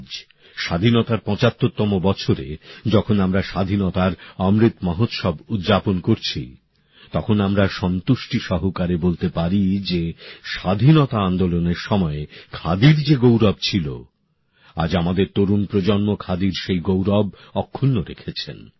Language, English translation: Bengali, Today in the 75 th year of freedom when we are celebrating the Amrit Mahotsav of Independence, we can say with satisfaction today that our young generation today is giving khadi the place of pride that khadi had during freedom struggle